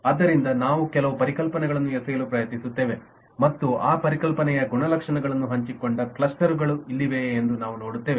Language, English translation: Kannada, so we will try to throw in some concepts and see that do we have clusters here which shared the properties of that concept